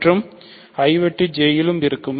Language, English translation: Tamil, So, the product is in I intersection J